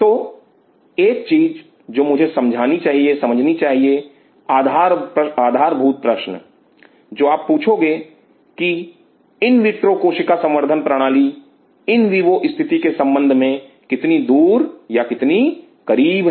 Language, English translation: Hindi, So, one thing I have to realize fundamental question what you would ask how far or how close is the invitro cell culture system with respect to the in vivo condition